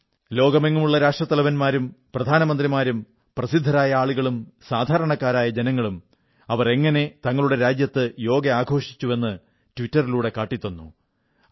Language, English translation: Malayalam, The Presidents, Prime Ministers, celebrities and ordinary citizens of many countries of the world showed me on the Twitter how they celebrated Yoga in their respective nations